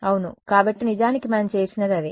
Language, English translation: Telugu, Yeah; so, that is actually what we have done